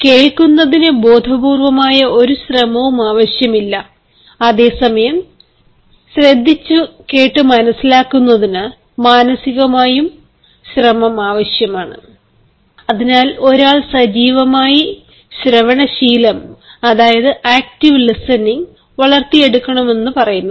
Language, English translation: Malayalam, hearing does not require any conscious effort, whereas listening requires a mental one, and that is why we say that one should develop the habit of active listening and that we will later call perceptive listening